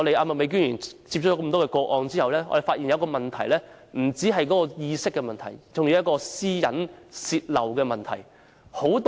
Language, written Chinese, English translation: Cantonese, 麥美娟議員接收多宗個案後，我們發現，這不單是意識的問題，還有泄露私隱的問題。, Upon receipt of a number of cases by Ms Alice MAK we found that it was not only a problem of awareness . There was also the problem of leakage of privacy data